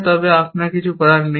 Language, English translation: Bengali, So, we do not do anything